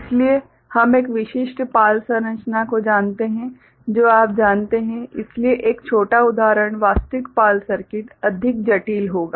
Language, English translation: Hindi, So, we look at one a typical PAL structure you know, so a small example actual PAL circuits will be more complex